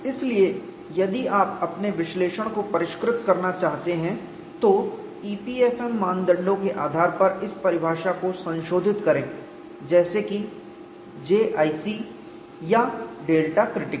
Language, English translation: Hindi, So, if you want to refine your analysis, modify this definition based on e p f m parameters like J 1 c or delta K